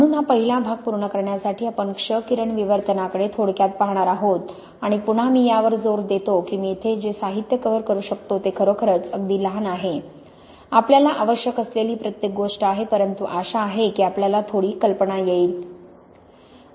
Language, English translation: Marathi, So to finish this first part we are going to look briefly at X ray diffraction and again I stress what the material I can cover here is really only very small, everything you need to, but hopefully you can get some idea